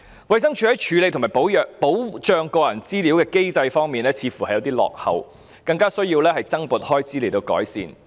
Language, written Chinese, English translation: Cantonese, 衞生署在處理和保障個人資料的機制似乎有些落後，所以需要增撥開支來作出改善。, The mechanism for handling and protection of personal data in DH seems to be quite backward and it is therefore necessary to provide additional funding for it to make improvement